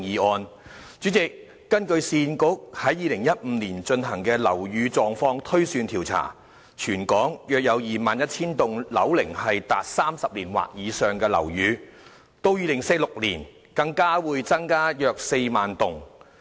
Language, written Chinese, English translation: Cantonese, 代理主席，根據市區重建局在2015年進行的"樓宇狀況推算調查"，全港約有 21,000 幢樓齡達30年或以上的樓宇，到2046年，更會增加約4萬幢。, Deputy President according to the building condition survey conducted by the Urban Renewal Authority URA in 2015 there were around 21 000 buildings aged 30 years or above in the territory and by 2046 the number will increase to 40 000